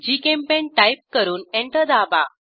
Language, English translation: Marathi, Type GChemPaint and press Enter